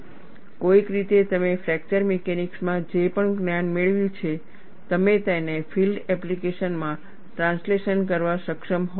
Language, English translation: Gujarati, Someway, whatever the knowledge you have gained in fracture mechanics, you should be able to translate it to field application